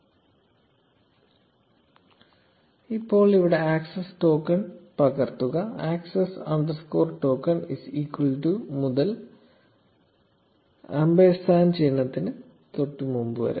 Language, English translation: Malayalam, Now copy this access token, starting after the access underscore token is equal to part, until just before the ampersand sign